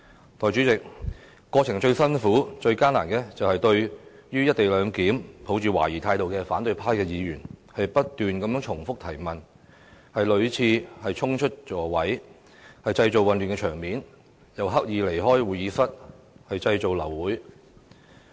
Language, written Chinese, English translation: Cantonese, 代理主席，過程中最難以應付的，是對"一地兩檢"抱懷疑態度的反對派議員，他們不斷重複提問，屢次衝出座位，製造混亂場面，更刻意離開會議室，意圖製造流會等。, Deputy President the biggest difficulties encountered during the scrutiny process were the opposition Members scepticism about the co - location arrangement . They kept asking the same questions always dashing out of their seats creating confusion . They also deliberately left the conference room in an attempt to abort the meeting